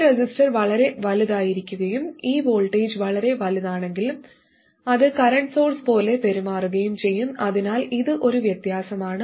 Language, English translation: Malayalam, If this resistor happens to be very large and if this voltage is very large, then it will tend to behave like a current source